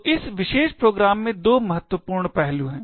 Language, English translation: Hindi, So, there are two critical aspects in this particular program